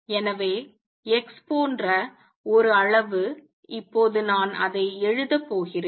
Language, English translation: Tamil, So, a quantity like x would be represented by let me now write it